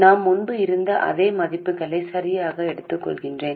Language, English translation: Tamil, I am taking exactly the same values that I had earlier